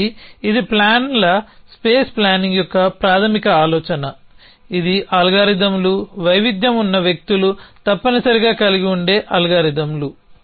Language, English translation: Telugu, So, this is the basic idea of plans space planning this is the algorithms there are variation would be algorithms which people have essentially